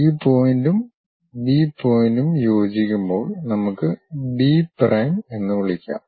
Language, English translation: Malayalam, When we are looking at this this point and B point coincides, let us call B prime